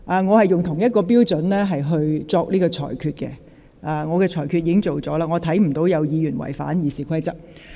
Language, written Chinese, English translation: Cantonese, 我是按照一致的標準作出裁決，我看不到有議員違反《議事規則》。, I have been applying the same yardstick in making my rulings and I do not see any Member has breached the Rules of Procedure